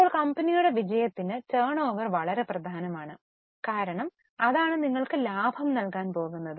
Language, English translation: Malayalam, Now, generation of turnover is very important for success of company because that is what is going to give you profits